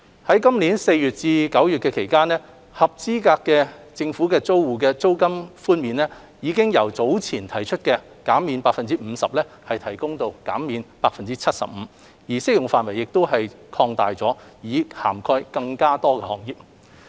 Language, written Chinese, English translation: Cantonese, 在今年4月至9月期間，合資格租戶的租金寬免比率已由早前提出的 50% 提高至 75%， 而適用範圍亦已擴大，以涵蓋更多行業。, For the period from April to September 2020 rental concessions for eligible tenants have been increased from 50 % to 75 % and the scope of rental concessions has been extended to cover more businesses